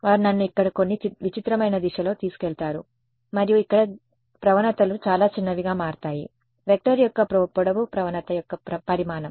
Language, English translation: Telugu, They take me in some weird direction over here and then here the gradients become very small in magnitude the length of the vector is the magnitude of the gradient